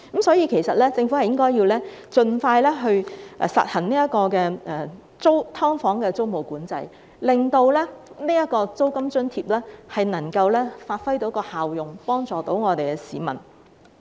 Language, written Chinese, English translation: Cantonese, 所以，政府其實應盡快實行"劏房"租務管制，令租金津貼能夠發揮效用，能真正幫助市民。, Hence the Government should actually implement tenancy control of subdivided units as soon as possible such that the rent allowance can produce its effect and genuinely help the people